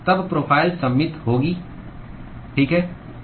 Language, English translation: Hindi, Then the profile will be symmetric, right